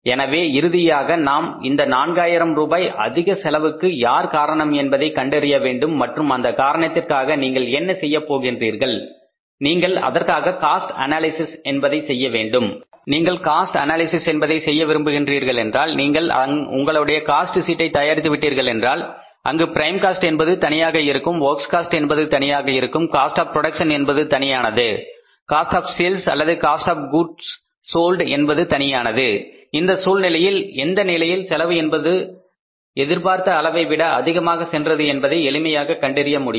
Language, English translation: Tamil, So finally we will have to check it up who has cost this cost of the 4,000 rupees extra cost of 4,000 rupees and for that reason what you have to do is you have to now make the cost analysis, you have to do the cost analysis and if you want to do the cost analysis and if your cost sheet is has prepared the cost like this where the prime cost is separate work cost is separate cost of production is separate cost of sales or the goods to be sold is separate in that case it will be very easy to find out what level the cost has gone beyond the expected level